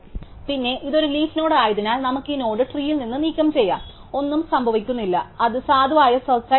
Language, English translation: Malayalam, And then since it is a leaf node we can just remove this node from the tree and nothing happens, it remains valid search